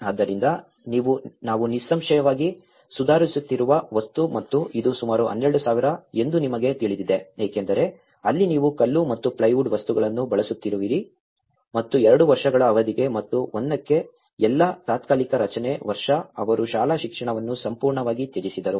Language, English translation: Kannada, So, the more the material we are improving obviously and this is about 12,000 you know because that is where you are using the stone and as well as the plywood material into it and this all temporary structure for a period of 2 years and because for 1 year they completely abandoned the school education